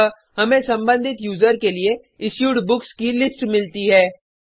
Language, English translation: Hindi, So, we get the list of books issued for the corresponding user